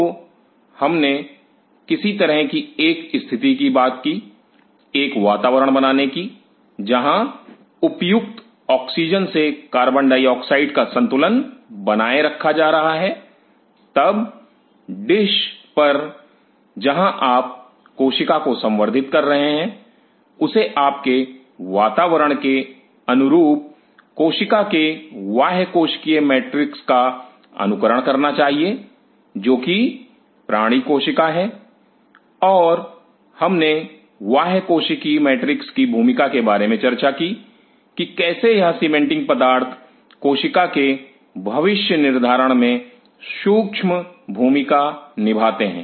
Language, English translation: Hindi, So, we talked about some kind of a condition creating a condition where proper oxygen to carbon dioxide balance is being maintained, then the dish where you are growing the cell should mimic the extracellular matrix of the cell in your condition that is the animal and we talked about the role of extracellular matrix how these cementing materials plays a critical role in determining the fate of the cell